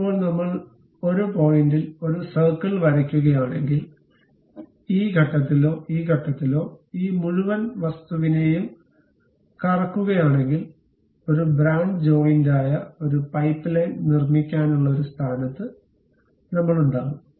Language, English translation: Malayalam, Now, if I am drawing a circle at one of the points, either at this point or at this point and revolve this entire object; I will be in a position to construct a pipeline, which is a branch joint